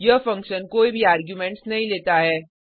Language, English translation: Hindi, This function does not take any arguments